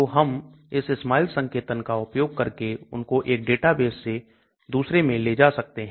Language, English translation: Hindi, So we can move this SMILES notation from 1 data base to another as you can see here